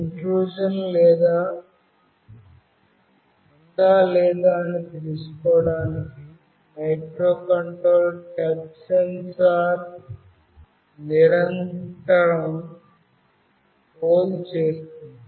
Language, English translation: Telugu, The microcontroller continuously polls the touch sensor to find out whether there is an intrusion or not